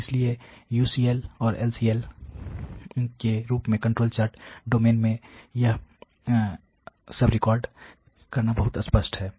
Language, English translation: Hindi, And so, therefore, it is very obvious to record all this you know in a control chart domain as UCL and LCL